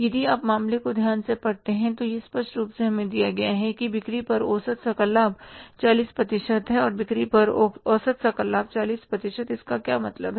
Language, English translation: Hindi, If you read the case carefully, it is clearly given to us that average gross profit on the sales is 40%